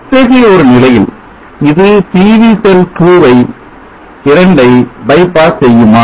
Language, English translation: Tamil, In such a case will this by pass PV cell 2, will the circuit work